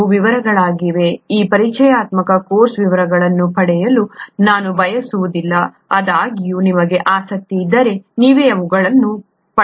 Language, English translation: Kannada, These are details, I don’t want to get into details in this introductory course, however if you’re interested you can get into these by yourself